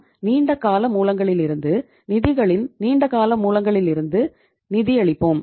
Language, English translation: Tamil, We will be financing from the long term sources, long term sources of the funds